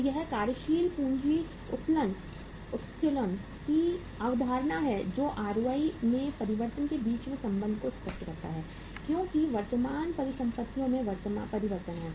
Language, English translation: Hindi, So this is the concept of the working capital leverage which explains the relationship between the change in ROI as there is a change in the current assets